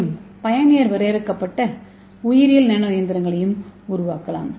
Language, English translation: Tamil, So we can make the biologically inspired nano machines